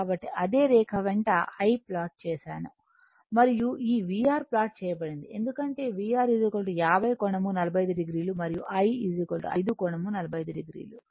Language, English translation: Telugu, So, same along the same line this I is plotted and this V R is plotted because your V R is equal to 50 angle 45 degree and I is equal to your 5 angle 45 degree